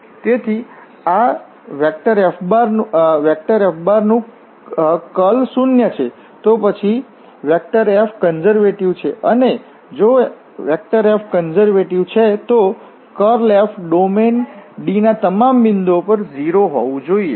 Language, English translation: Gujarati, So, this is the curl of F is zero, then F is conservative and if F is conservative then the curl F has to be at all points of the domain D